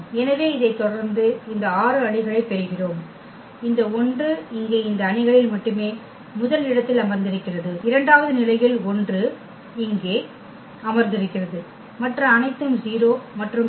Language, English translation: Tamil, And so on we continue with this we get these 6 matrices where this 1 is sitting here at the first position only in this matrix, in the second case 1 is sitting here and all others are 0 and so on